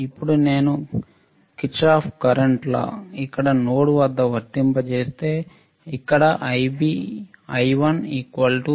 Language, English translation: Telugu, Now, if I apply Kirchhoff's current law at node a here I1 equals to I2 plus Ib1 all right